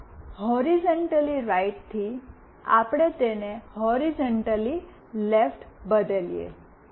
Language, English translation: Gujarati, Let us say from horizontally right, we change it to horizontally left